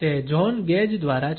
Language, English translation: Gujarati, It is by John Gage